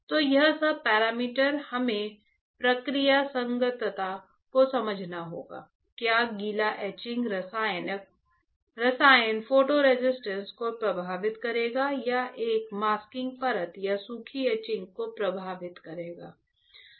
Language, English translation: Hindi, So, all this parameter we have to understand process compatibility right; whether the wet etching the chemical will affect the photo resist or a massing layer or dry etching will affect right ah